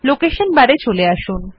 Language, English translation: Bengali, Coming down to the Location Bar